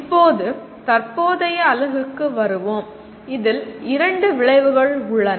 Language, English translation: Tamil, Now coming to our present unit, there are two outcomes